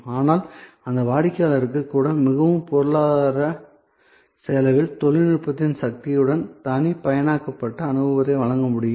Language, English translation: Tamil, But, even that customer can be given a very personalized experience with the power of technology at a very economic cost